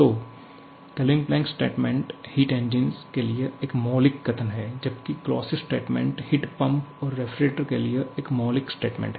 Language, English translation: Hindi, So, Kelvin Planck statement is a fundamental statement for the heat engine whereas, Clausius statement is a fundamental statement for the heat pumps and refrigerators